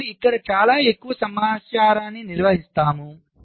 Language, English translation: Telugu, we maintain much more information